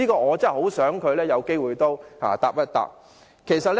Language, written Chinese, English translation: Cantonese, 我很希望他有機會能夠回應一下。, I really hope he can respond to my questions should the opportunity arise